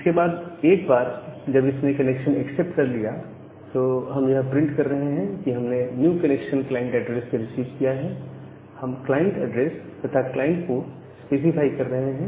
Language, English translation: Hindi, So, after that once it is accepted the connection, we are printing that we have received a new connection from the client address, we are specifying the client address and the client port